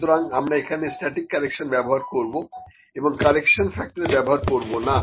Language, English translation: Bengali, So, we will use static correction, not correction factor, ok